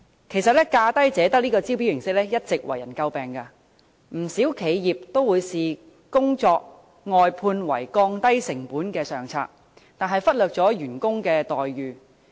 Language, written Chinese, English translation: Cantonese, 其實，"價低者得"的招標形式一直為人詬病，不少企業把工作外判視為降低成本的上策，但卻忽略員工的待遇。, In fact the approach of lowest bid wins has all along given cause for criticism . While many enterprises consider outsourcing the best strategy to reduce costs they have neglected the treatment of workers